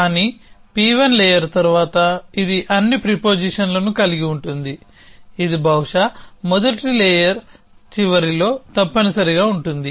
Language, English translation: Telugu, But, followed by layer P 1, which consists of all the prepositions, which could possibly which you at the, at the end of the first layer essentially